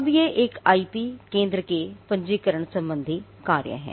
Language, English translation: Hindi, Now, these are the registration related functions of an IP centre